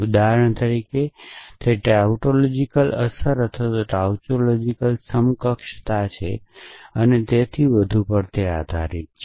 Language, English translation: Gujarati, For example, it is based on tautological implications or tautological equivalences and so on